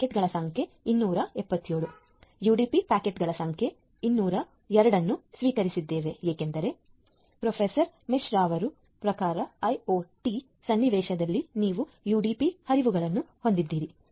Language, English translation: Kannada, So, number of UDP packet in we have received 202 because typical as Professor MR mentioned that typically in IoT scenario you have UDP flows